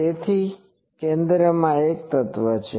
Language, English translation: Gujarati, So, there is one element at the center